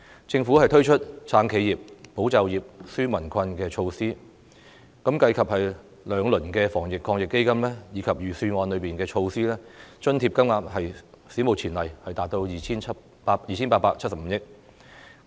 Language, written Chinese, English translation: Cantonese, 政府推出"撐企業、保就業、紓民困"的措施，計及兩輪防疫抗疫基金，以及預算案中的措施，津貼金額史無前例達到 2,875 億元。, The Government has introduced measures to support enterprises safeguard jobs and relieve peoples burden and if the two rounds of the Anti - epidemic Fund are also taken into account the amount of allowances has reached an unprecedented level of 287.5 billion